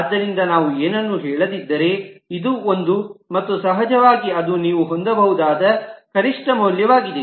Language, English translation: Kannada, So if we do not say anything, it is one and of course that is a minimum value that you can have